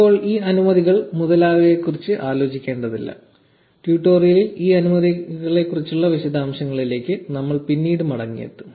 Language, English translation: Malayalam, Do not worry about these permissions etcetera for now; we will get back to the details regarding all these permissions later in the tutorial